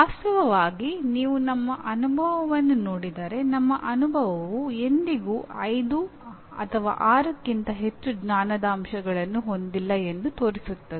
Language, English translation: Kannada, Actually if you look at our experience, our experience shows that there may never be more than 5, 6 knowledge elements that need to be enumerated